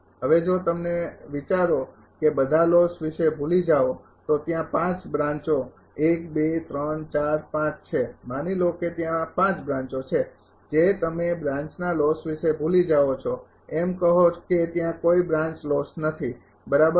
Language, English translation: Gujarati, Now, if you think forget about losses all there are 5 branches 1, 2, 3, 4, 5 suppose there are 5 branches you forget about the branch losses say there is no branch loss right